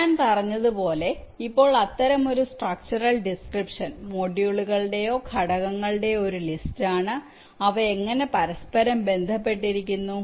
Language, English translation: Malayalam, ok, now such a structural description is, as i said, nothing but a list of modules or components and how their interconnected